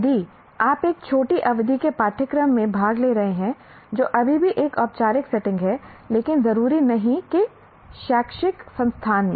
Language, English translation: Hindi, If you are attending a short term course, which is still a formal setting, but not necessarily an educational institution